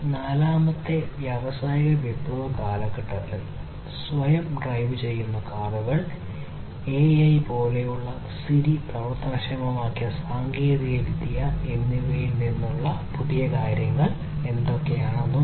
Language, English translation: Malayalam, And in this fourth industrial revolution age, what are the new things that have come in technologies such as self driving cars, technologies such as AI enabled Siri, and so on